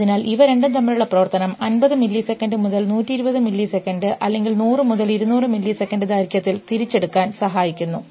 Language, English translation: Malayalam, So, the activity between these two helps in recall, at 50 milliseconds at 120 milliseconds or 100 to 200 milliseconds